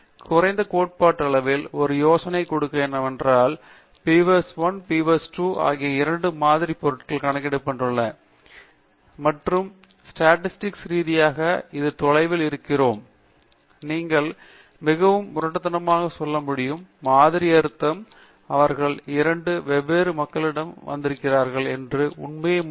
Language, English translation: Tamil, So, what is done, at least theoretically, just to give you an idea, is that sample means of both the beaver1 and beaver2 series are computed, and statistically we look at the distance you can say so crudely between the sample means, in presence of the fact that they have come from two different populations